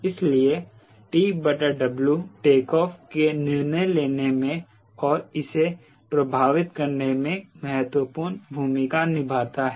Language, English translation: Hindi, so t by w plays important role in deciding in the affecting the takeoff